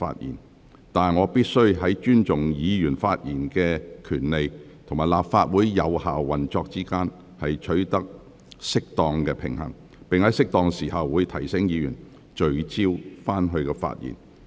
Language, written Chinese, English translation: Cantonese, 然而，我必須在尊重議員發言權利及立法會有效運作之間，取得適當平衡，並在適當時候提醒委員聚焦發言。, However I must strike a proper balance between respecting Members right to speak and the effective operation of the Legislative Council and I will remind Members to make focused remarks at an appropriate time